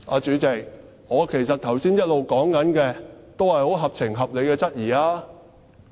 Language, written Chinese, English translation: Cantonese, 主席，其實我剛才一直說的，也是十分合情合理的質疑......, President actually the doubts raised by me just now are most reasonable and sensible